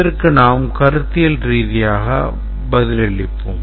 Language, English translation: Tamil, We'll answer this very conceptually